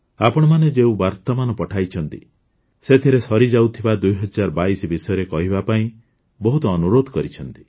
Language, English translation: Odia, In the messages sent by you, you have also urged to speak about the departing 2022